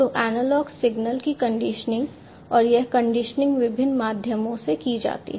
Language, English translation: Hindi, So, conditioning of the analog signals and this conditioning is done through different means